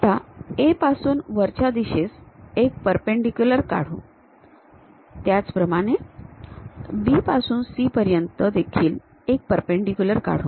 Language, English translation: Marathi, Now, from A drop a perpendicular all the way up; similarly, drop a perpendicular all the way from B to C